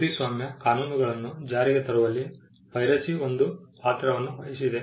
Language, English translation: Kannada, Piracy also played a role in having the copyright laws in place